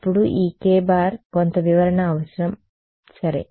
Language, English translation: Telugu, Then this k needs some interpretation ok